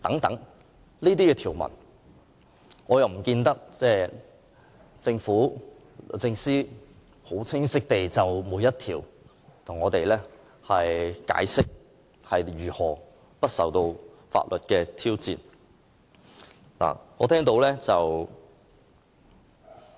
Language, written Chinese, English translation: Cantonese, 關於這些條文，並不見得政府和律政司曾十分清晰地逐一向我們解釋，它們如何不受法律挑戰。, Yet neither the Government nor the Department of Justice as far as we can observe has ever explained very clearly why the proposed arrangement will not face any judicial challenge under all these Basic Law provisions